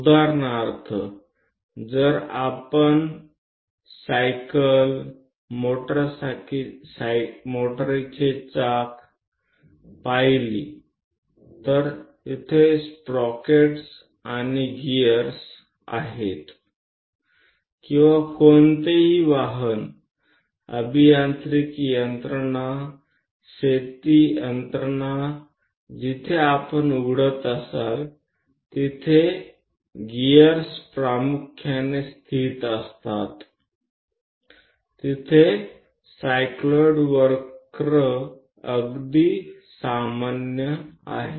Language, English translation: Marathi, For example, if you are looking at your bicycle, motor wheels where sprocket and gears are located or any automobile engineering machinery, farm machinery anything you open where gears are predominantly located these cycloid curves are quite common